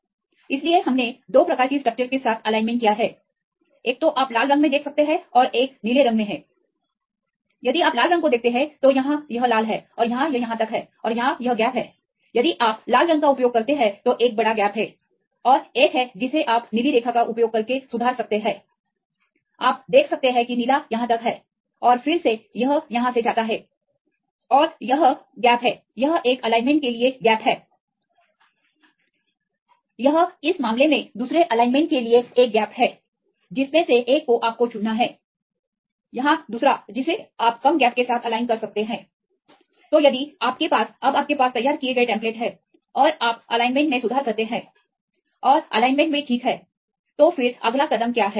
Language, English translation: Hindi, So, we aligned with 2 types of structures right one is you can see in red and one is in blue if you see the red one this is aligned here this is the red and here this is up to here and this is the gap here this is the large gap if you use the red one and there is another one you can make the corrections using the blue line you can see the blue is up to here and again, it goes from here and this is the gap this is the gap for the one alignment